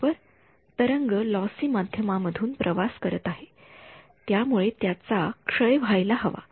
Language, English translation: Marathi, Right as the wave is traveling through a lossy medium, it should decay